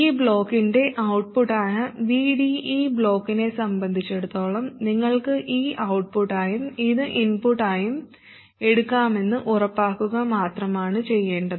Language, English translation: Malayalam, All it has to do is to make sure that VD, which is the output of this block, as far as this block is concerned, you can think of this as the output and this is the input